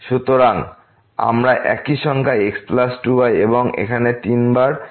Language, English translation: Bengali, So, we have the same number plus 2 and here also 3 times plus 2